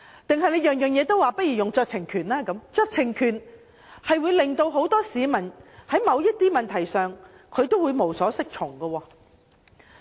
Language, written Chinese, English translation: Cantonese, 又或凡事都說行使酌情權，這樣只會令市民在某些問題上無所適從。, Or if it is said that discretion can be exercised in each and every case then it will only render the public at a loss as to what to do about dealing with certain issues